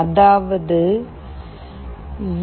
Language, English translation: Tamil, This means, for 0